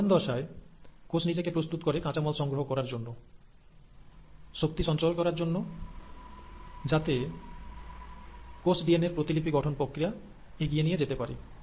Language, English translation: Bengali, So, in G1 phase, the cell is essentially preparing itself, generating raw materials, generating energy, and, so that now the cell is ready to move on to the phase of DNA replication